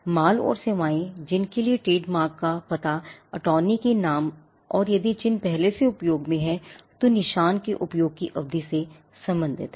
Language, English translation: Hindi, Goods and services to which the trademark pertains to name address attorney details and period of use of the mark if the mark has already been in use